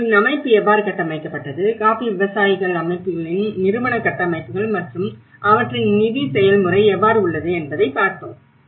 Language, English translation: Tamil, And how their organization structured, the institutional structures of the coffee growers organizations and how their funding process